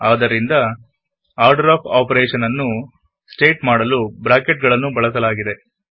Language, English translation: Kannada, So we have to use Brackets to state the order of operation